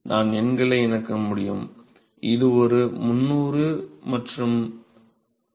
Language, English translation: Tamil, I can just plug the numbers and this will turn out to be 300 and 4